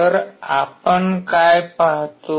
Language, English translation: Marathi, So, what do we see